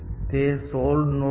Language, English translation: Gujarati, That is the node